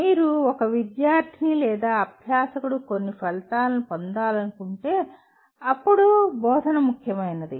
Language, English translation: Telugu, But if you want a student to or learner to acquire some outcomes then the instruction becomes important